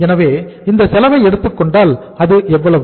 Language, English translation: Tamil, So if you take this cost how much is this